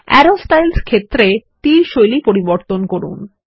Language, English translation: Bengali, Under the Arrow Styles field, change the arrow styles